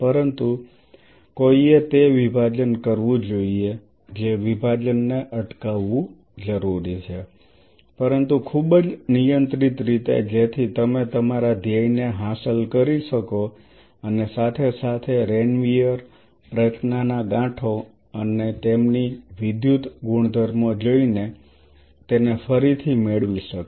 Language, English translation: Gujarati, But one has to do that division stopping that division is essential, but in a very controlled way so that you can achieve your goal of seeing the myelination happening as well as seeing the nodes of Ranvier formation and their electrical properties they regain it